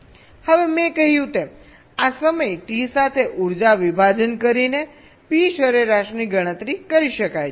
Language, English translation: Gujarati, now, as i said, p average can be computed by dividing the energy divide with this time t